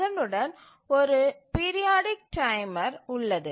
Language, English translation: Tamil, This is a periodic timer